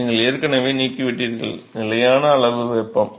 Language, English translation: Tamil, You already removing, constant amount of heat